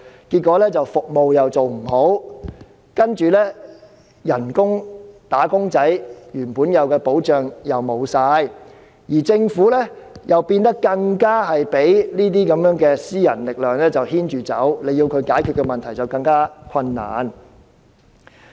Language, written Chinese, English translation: Cantonese, 結果，服務做不好，又令"打工仔"失去原有的保障，而政府更被這些私人力量牽着走，要解決問題便更加困難。, As a result the services became undesirable and wage earners have lost the protection they originally enjoyed whereas the Government is led by the nose by these private forces making it even more difficult to deal with the problems